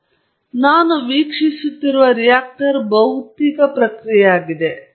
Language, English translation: Kannada, Now, the reactor that I am observing is a physical process